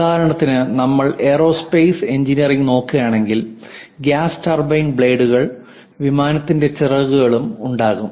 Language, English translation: Malayalam, For example, if you are looking at aerospace engineering, there will be gas turbine blades, and aeroplane's wings, many aspects